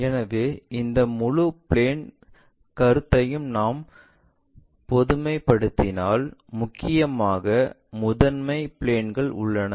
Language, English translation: Tamil, So, if we are generalizing this entire planes concept, mainly, we have principal planes